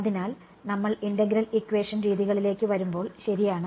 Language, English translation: Malayalam, So, when we come to integral equation methods ok